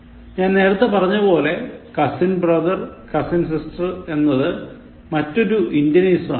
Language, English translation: Malayalam, As I said, use of cousin brother/cousin sister is another Indianism